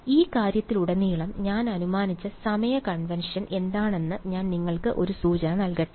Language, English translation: Malayalam, So, let me give you a hint, what is the time convention I have assumed throughout this thing